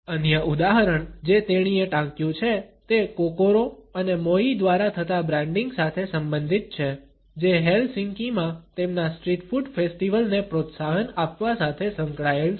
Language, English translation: Gujarati, Another example which has been cited by her is related with the branding by Kokoro and Moi to promote their street food festival in Helsinki